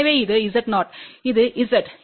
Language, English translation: Tamil, So, this is 0, this is Z